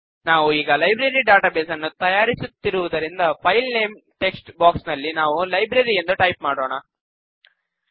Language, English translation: Kannada, Since we are building a Library database, we will type Library in the File Name text box